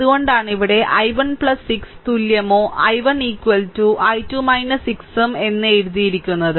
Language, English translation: Malayalam, So, that is why we have written here that i 1 plus 6 is equal at or i 1 is equal to i 2 minus 6